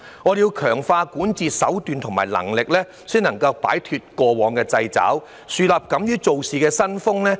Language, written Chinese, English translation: Cantonese, 我們要強化管治手段和能力，才能夠擺脫過往的掣肘，樹立敢於做事的新風。, We need to strengthen our means and capabilities of governance in order to break free from the constraints of the past and build a new culture of audacity at work